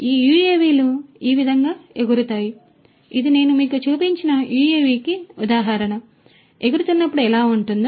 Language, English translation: Telugu, And this is how these UAVs fly, this is you know an example of the UAV that I had shown you, how it is going to be when it is flying